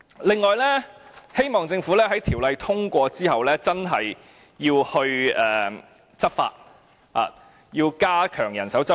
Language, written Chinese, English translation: Cantonese, 此外，希望政府在《條例草案》通過後，真的要執法，要加強人手執法。, Moreover I hope that after the passage of the Bill the Government will really enforce the law and it has to strengthen the manpower concerned